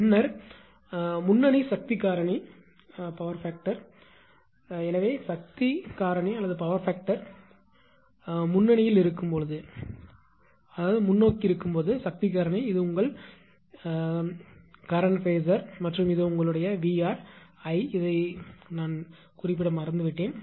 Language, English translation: Tamil, Then leading power factor case: So, when power factor is leading when power factor is this is your current phasor and this is your this is VR I forgot to mention this